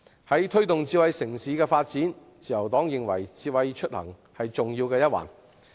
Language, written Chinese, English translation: Cantonese, 關於推動智慧城市發展的工作，自由黨認為智慧出行是重要一環。, Regarding the promotion of smart city development the Labour Party considers smart mobility a key component